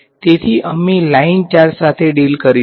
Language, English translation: Gujarati, So, we will deal with a line charge